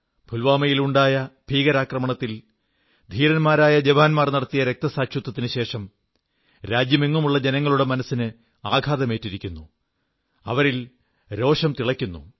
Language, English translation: Malayalam, As a consequence of the Pulwama terror attack and the sacrifice of the brave jawans, people across the country are agonized and enraged